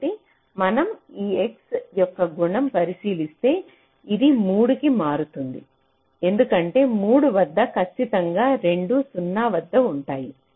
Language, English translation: Telugu, so this, if we just look at the property of this x, this will shift to three because at three, definitely both of them are at zero